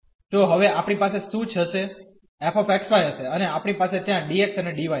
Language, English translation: Gujarati, So, what we will have now the f x y and we will have dx and dy there